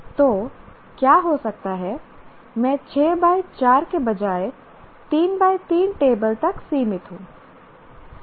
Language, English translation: Hindi, So what may happen is I am restricted to a 3 by 3 table rather than 6 by 4